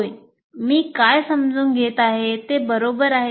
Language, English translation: Marathi, Yes, this is what my understanding is correct